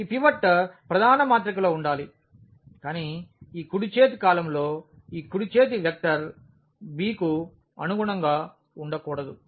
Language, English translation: Telugu, The pivot should be there in this main matrix here not in this rightmost column which corresponds to this right hand side vector b ok